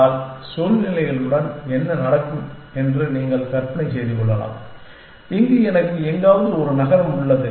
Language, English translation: Tamil, But, you can imagine that what will happen with situations, where I have a city somewhere here